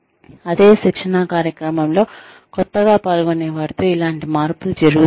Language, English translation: Telugu, Will similar changes occur, with the new participants, in the same training program